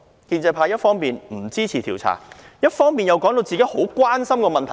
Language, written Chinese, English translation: Cantonese, 建制派一方面不支持調查，另方面又把自己說得好像很關心這項問題般。, On the one hand the pro - establishment camp does not support any inquiry; on the other it portrayed itself as very concerned about this issue